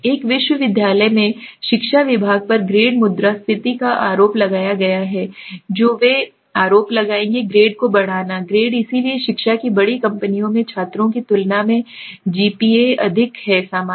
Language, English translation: Hindi, The education department at a university has been accused of grade inflation they will accuse the grade inflating the grade so the education majors have much higher GPAs than students in general